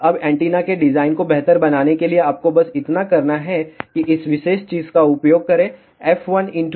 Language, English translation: Hindi, Now to improve the design of the antenna all you need to do it is use this particular thing f 1 L 1 equal to f 2 L 2